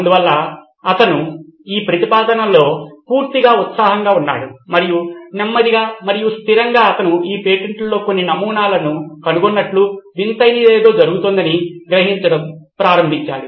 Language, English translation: Telugu, So he was totally excited by this proposition and slowly and steadily he started realizing that there was something strange going on that he actually found out certain patterns across this patents